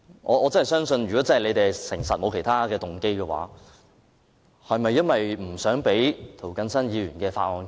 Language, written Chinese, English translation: Cantonese, 我相信如果政府是誠實的，沒有其他動機，是否只是不想讓涂謹申議員的修正案通過？, I believe if the Government is honest in saying that it has no other motives then does it merely want to stop the passage of Mr James TOs amendment?